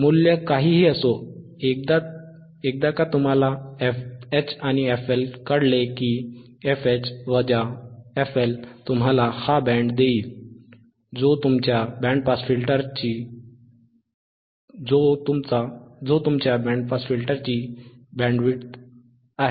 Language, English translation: Marathi, wWhatever the value is there, once you know f H once you knowand f L, if f H minus f L will give you this band which is your bandwidth and that is your bandwidth of your band pass filter